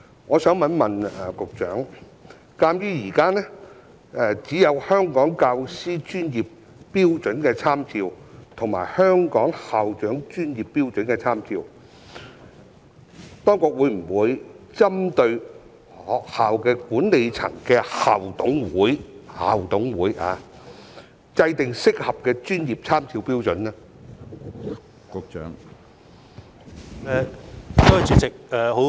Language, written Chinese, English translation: Cantonese, 我想請問局長，鑒於現時只有《香港教師專業標準參照》和《香港校長專業標準參照》，當局會否針對學校管理層的校董會——是校董會——制訂適合的專業參照標準呢？, I would like to ask the Secretary given that there are only the Professional Standards for Teachers of Hong Kong and Professional Standards for Principals of Hong Kong at present will the authorities draw up appropriate professional standards for school management committees? . I am talking about school management committees